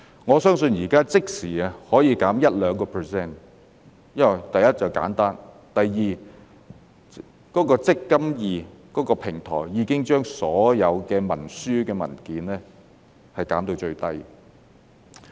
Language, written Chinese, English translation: Cantonese, 我相信現在可以即時減 1% 至 2%， 因為第一，簡單；第二，"積金易"平台已經把所有文書的數量減至最少。, I believe that now there can be an immediate reduction of 1 % to 2 % because firstly they are simple and secondly the eMPF Platform has minimized the paperwork